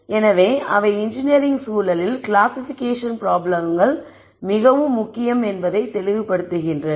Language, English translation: Tamil, So, that is how classi cation problems are very important in engineering context